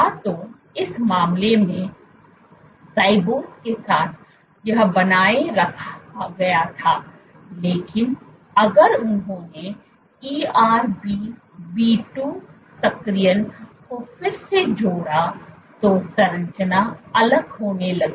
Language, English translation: Hindi, Either with ribose in this case this was maintained, but if they added ErbB2 activation again the structure started to fall apart